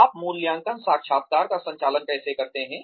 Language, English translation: Hindi, How do you conduct the appraisal interview